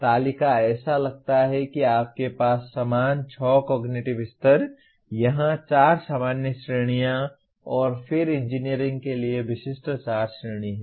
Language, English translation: Hindi, The table looks like you have the same, 6 cognitive levels, 4 general categories here and then 4 category specific to engineering